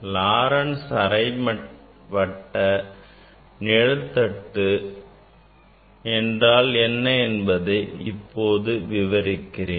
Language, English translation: Tamil, Now, what is Laurent s half shade